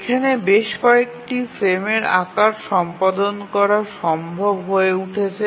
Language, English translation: Bengali, We will find that several frame sizes are becomes possible